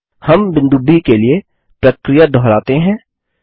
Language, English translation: Hindi, We repeat the process for the point B